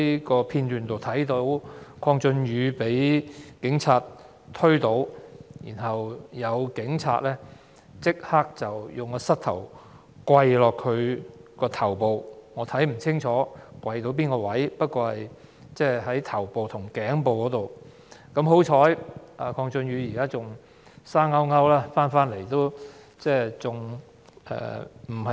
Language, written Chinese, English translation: Cantonese, 從片段所見，鄺俊宇議員被警察推倒，然後有警員立刻用膝頭壓在他的頭上，我看不清楚該警員跪在哪個位置，只看到是頭部和頸部之間。, As shown on the video clips the police officers pushed Mr KWONG Chun - yu onto the ground and immediately one of them knelt on his head . I could not see clearly which part of his body the police officer placed his knee . All I could see was that the officer placed his knee between his head and neck